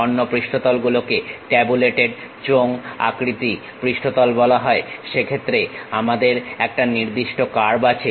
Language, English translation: Bengali, Other surfaces are called tabulated cylinder surfaces; in that case we have one particular curve